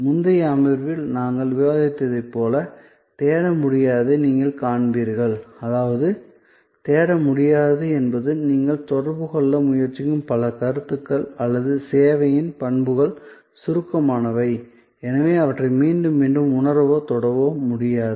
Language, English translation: Tamil, You will see for the non searchability as we discussed in the previous session; that means non searchability means that, many of the concepts that you are trying to communicate or properties of the service are abstract and therefore, they cannot be again and again felt or touched